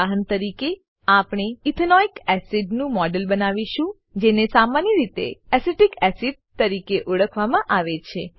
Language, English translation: Gujarati, As an example, we will create a model of Ethanoic acid, commonly known as Acetic acid